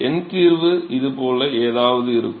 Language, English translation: Tamil, And so, the numerical solution would look something like this